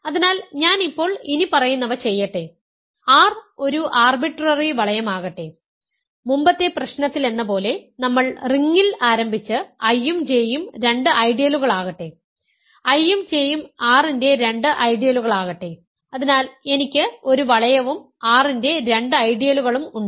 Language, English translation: Malayalam, So, let me now do the following, let R be an arbitrary ring this is as before in the previous problem also we started with in the ring and let I and J be two ideals, let I and J be two ideals of R